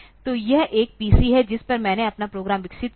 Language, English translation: Hindi, So, this is a PC on which I have developed my program